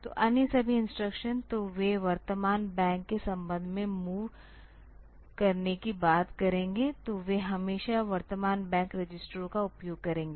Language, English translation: Hindi, So, all the other instructions; so, they will be talking about moving with respect to the current bank, so they will always access the current bank registers